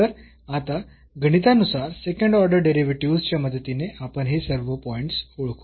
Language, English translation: Marathi, So, now mathematically we will identify all these points with the help of the second order derivatives